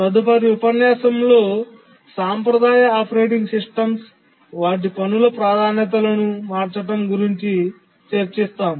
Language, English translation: Telugu, As you will see in our next lecture that the traditional operating systems, they keep on changing task priorities